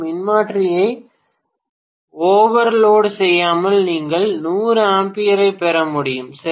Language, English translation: Tamil, Without overloading the transformer you would be able to get 100 amperes, right